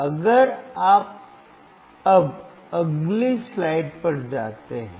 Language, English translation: Hindi, So, if you go to the next slide now